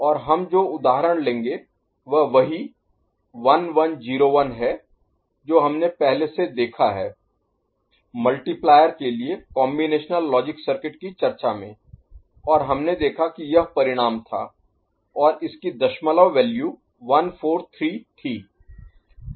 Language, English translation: Hindi, And the example that we shall take is the one which we have seen before that is 1101, in our combinatorial logic circuit discussion for multiplier, and we saw that this was the result and corresponding decimal value was 143 right